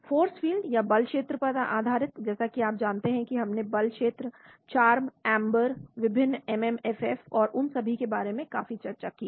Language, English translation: Hindi, The force field based as you know we talked quite a lot about force field CHARMM, AMBER different MMFF and all that